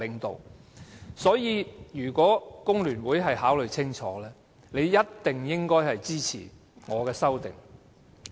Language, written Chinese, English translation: Cantonese, 因此，如果工聯會考慮清楚，他們應該一定會支持我的修正案。, Hence if FTU gives due consideration it should definitely support my amendments